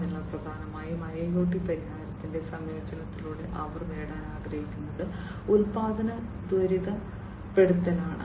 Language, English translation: Malayalam, So, essentially through the integration of IIoT solution what they want to achieve is the production acceleration